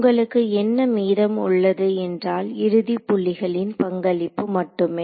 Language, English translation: Tamil, So, what you are left with is just this contribution from the end point